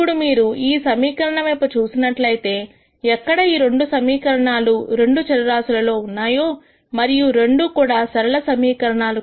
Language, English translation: Telugu, Now, when we look at this equation here there are two equations in two variables and both are linear equations